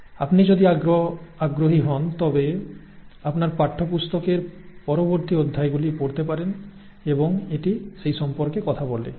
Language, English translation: Bengali, If you are interested you can go and read later chapters of your textbook, it does talk about that